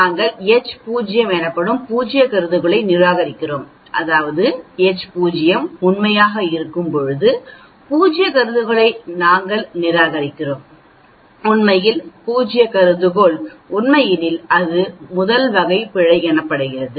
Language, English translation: Tamil, We are rejecting null hypothesis h naught, when h naught is true that means, we are rejecting the null hypothesis where as in reality the null hypothesis is true that is called type 1 error